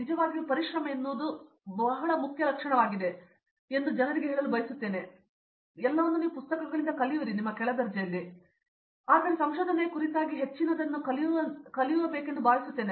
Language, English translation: Kannada, I would like to tell people that you know actually perseverance is the most important trait I guess, because like in your under grade and all you just learn from books and everything is just thrown at you, but in research I think you mostly learn by figuring out what doesn’t work